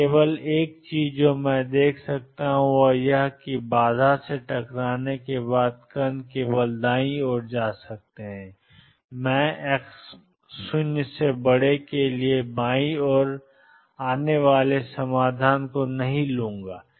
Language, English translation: Hindi, So, the only thing I can see is that the particles after hitting the barrier can go only to the right, I will not take a solution coming to the left for x greater than 0